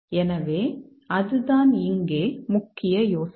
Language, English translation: Tamil, So, that's the main idea here